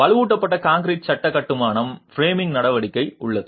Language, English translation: Tamil, The reinforced concrete frame construction has framing action